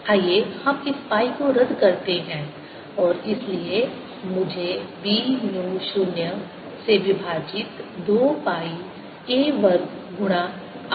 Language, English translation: Hindi, let's cancel this pi and therefore i get b to be mu zero over two pi a square times r